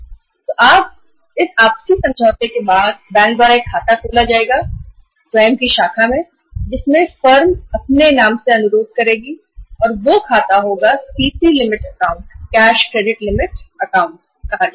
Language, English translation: Hindi, So after this mutual agreement, an account will be opened by the bank in its own branch in which the firm has requested in the name of the firm and that account will be called as the CC limit account, cash credit limit account